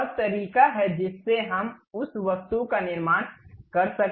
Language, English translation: Hindi, This is the way we can create that object